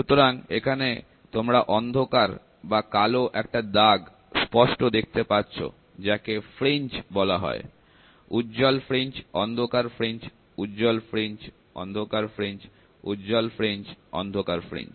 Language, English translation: Bengali, The eye is able, so, you can see the eye is able, able to see a distinct patch of darkness termed as fringe so, bright fringe, dark fringe, bright fringe, dark fringe, bright fringe, dark fringe